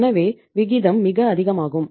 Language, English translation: Tamil, So the ratio is very high